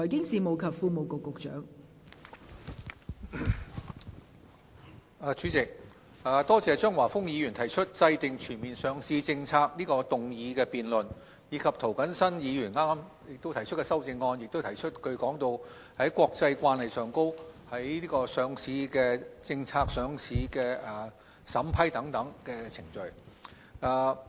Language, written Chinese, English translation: Cantonese, 代理主席，多謝張華峰議員提出"制訂全面上市政策"這項議案，以及涂謹申議員剛才提出的修正案，並提到在國際慣例上，上市政策和上市審批等程序。, Deputy President I would like to thank Mr Christopher CHEUNG for moving the motion on Formulating a comprehensive listing policy and Mr James TO for moving the amendment just now with regard to listing policy vetting and approval procedures for listings and so on under international norms